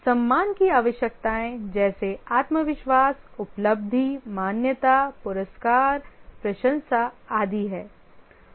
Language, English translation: Hindi, The esteem needs are self confidence, achievement, recognition, awards, appreciation and so on